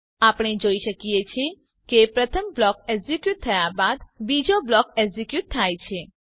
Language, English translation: Gujarati, we see that after the first block is executed, the second is executed